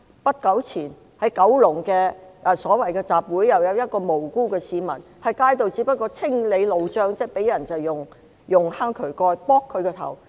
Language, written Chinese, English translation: Cantonese, 不久前，在九龍一個所謂集會期間，有一位無辜市民在街上清理路障時，遭人用渠蓋擊頭。, Not long ago during a so - called rally in Kowloon an innocent citizen was hit on his head with a manhole cover while clearing a roadblock in the street